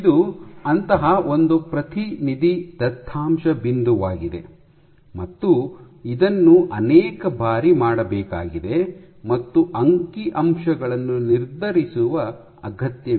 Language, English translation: Kannada, So, this is one such representative data point you have to do it multiple numbers of times and need to determine the statistics